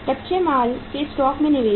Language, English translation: Hindi, Investment in the raw material stocks